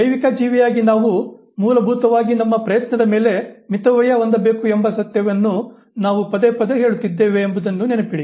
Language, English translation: Kannada, Remember, we are repeatedly saying this fact that as biological creature we have to basically economize on our effort